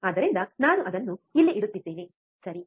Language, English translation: Kannada, So, I am placing it here, right